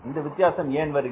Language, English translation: Tamil, Now why this difference has occurred